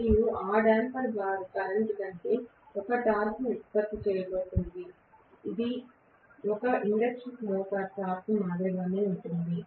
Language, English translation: Telugu, And that damper bar current is going to produce a torque, which is similar to one induction motor torque